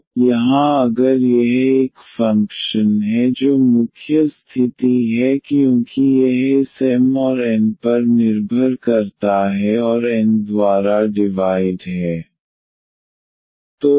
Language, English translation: Hindi, So, here if this is a function that is the main condition because it depends on this M and N and the divided by N